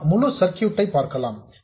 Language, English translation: Tamil, Let's go back to the full circuit